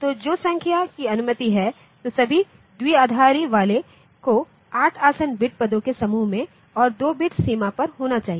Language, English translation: Hindi, So, the numbers which are allowed then all binary ones must fall within a group of 8 adjacent bit positions and on a 2 bit boundary